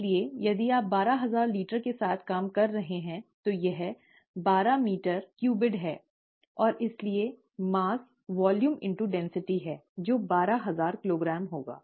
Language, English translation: Hindi, So if you are dealing with twelve thousand litres, that is twelve meter cubed, right, and therefore, the mass is volume into density, which would be twelve thousand kilograms